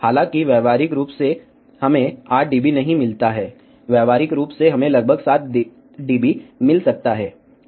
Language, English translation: Hindi, However, practically we do not get 8 dB, practically we may get around 7 dB